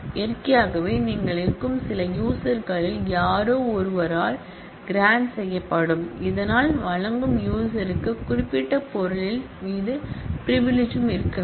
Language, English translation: Tamil, Naturally, grant will be done also by somebody in some of the users you may be, so that user who is granting must also have the privilege, same privilege on the specific item